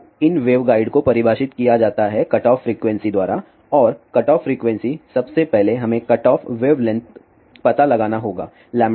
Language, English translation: Hindi, So, these waveguides are defined by at the cutoff frequency and the cutoff frequency first we need to find out the cutoff wavelength lambda c is given by 2 times a